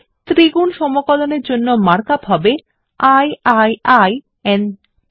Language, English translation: Bengali, And the mark up for a triple integral is i i i n t